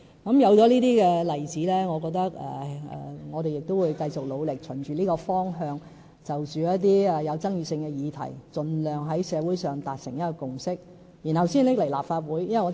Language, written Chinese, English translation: Cantonese, 鑒於有這些例子，我認為我們也要繼續努力，循着這個方向，就着一些具爭議性的議題，盡量在社會上達成共識，然後才提交立法會。, Since there is such a precedent I really think that we must keep up our efforts and follow the direction of forging a social consensus on contentious issues as far as possible before coming to the Legislative Council